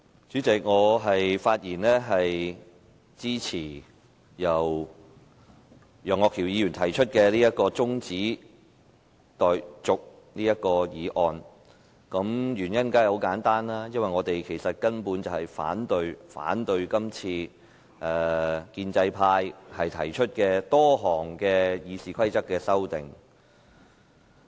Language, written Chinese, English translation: Cantonese, 主席，我發言支持由楊岳橋議員提出的中止待續議案。原因很簡單，因為我們根本反對建制派提出多項《議事規則》的修訂。, President I rise to speak in support of the adjournment motion proposed by Mr Alvin YEUNG for the simple reason that we fundamentally oppose the many amendments to the Rules of Procedure RoP proposed by the pro - establishment camp